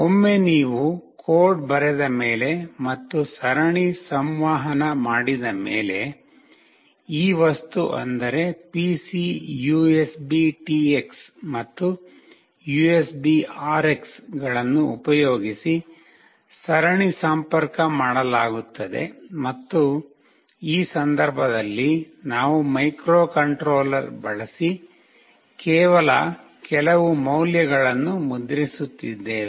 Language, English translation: Kannada, Once you write a code and make the serial communication, the serial communication will be made using this object that is serial PC USBTX and USBRX and here in this case, we are just printing some value from the microcontroller